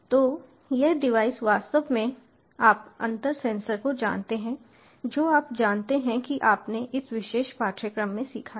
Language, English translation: Hindi, so this device actually, ah, you know, ah, you know the, the difference sensors that you have, ah you know, learnt in this particular course